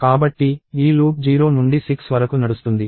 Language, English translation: Telugu, So, this loop will run from 0 to 6